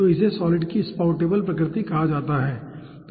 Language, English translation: Hindi, so that is called a spoutable nature of the solids